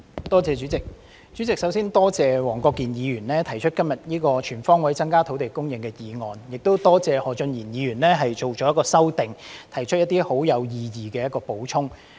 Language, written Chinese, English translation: Cantonese, 代理主席，我首先感謝黃國健議員今天提出"全方位增加土地供應"議案，亦感謝何俊賢議員提出修正案，作出一些十分有意義的補充。, Deputy President first of all I would like to thank Mr WONG Kwok - kin for proposing the motion on Increasing land supply on all fronts today and Mr Steven HO for proposing the amendment which adds some very meaningful content